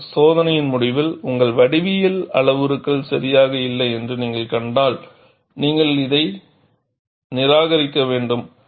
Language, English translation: Tamil, But at the end of the test, if you find that your geometric parameters were not alright, you simply discard